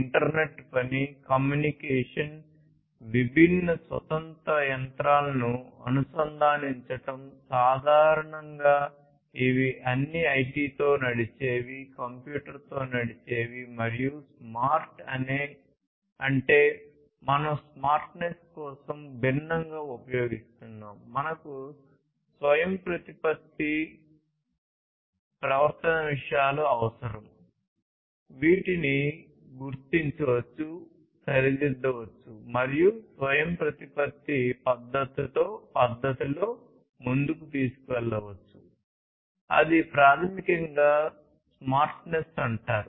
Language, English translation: Telugu, Internet work, communication, connecting different standalone machinery, typically which used to be all IT driven, computer driven; and smart means we are using different for smartness we need autonomous behavior things which can be detected, corrected and taken forward in an autonomous manner that is basically the smartness